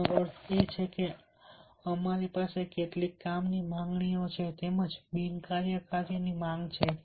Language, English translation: Gujarati, that means we have some work demands as well as non work demands